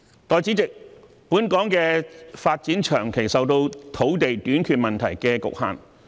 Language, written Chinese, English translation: Cantonese, 代理主席，本港的發展長期受到土地短缺問題所局限。, Deputy President the development of Hong Kong has long been constrained by the land shortage problem